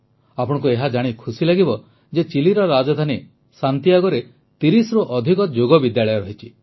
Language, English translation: Odia, You will be pleased to know that there are more than 30 Yoga schools in Santiago, the capital of Chile